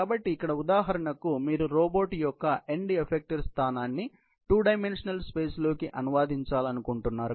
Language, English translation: Telugu, So, here for example, you want to translate the end effector position of a robot in two dimensional space